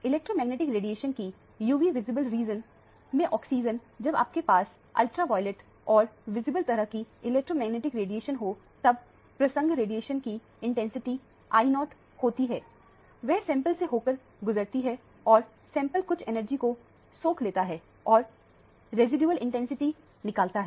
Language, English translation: Hindi, The absorption of electromagnetic radiation in the UV visible region, when you have an electromagnetic radiation of the type ultraviolet and visible, then the incident radiation intensity is I0, it passes through the sample and the sample absorbs certain amount of energy and the residual intensity is transmitted